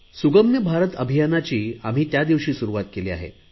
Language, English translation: Marathi, That day we started the 'Sugamya Bharat' campaign